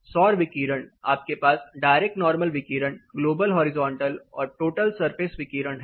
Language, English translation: Hindi, Solar radiation you have direct normal radiation global horizontal and total surface radiation